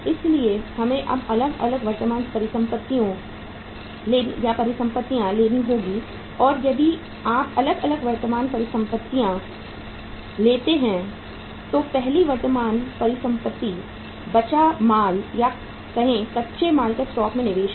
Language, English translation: Hindi, So we have to take now the different current assets and if you take the different current assets, first current asset is raw material or the investment in the say raw material stock